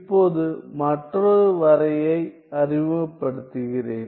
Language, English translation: Tamil, Now, let me introduce another definition